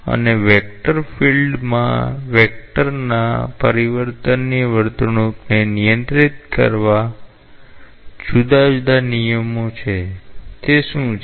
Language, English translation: Gujarati, And what are the different rules that govern the behavior of the change of vector in a vector field